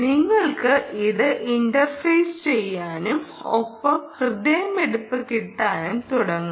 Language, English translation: Malayalam, you can interface it and you will start getting heartbeat quite actually